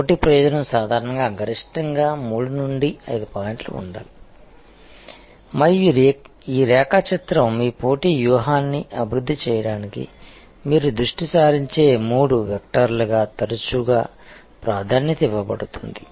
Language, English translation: Telugu, Competitive advantage should normally be maximum three to five points and this diagram is often preferred as the three vectors that you will focus on for developing your competitive strategy